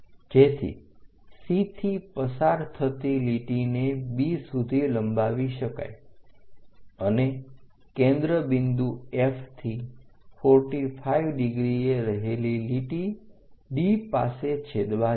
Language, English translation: Gujarati, So, that a line passing from C all the way B we extended it and a line at 45 degrees from focus point F, so that is going to intersect at D